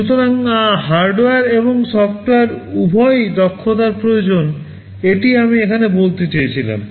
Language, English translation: Bengali, So, both hardware and software expertise are required this is what I wanted to say here